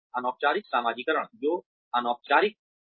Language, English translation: Hindi, Informal socialization, that is informal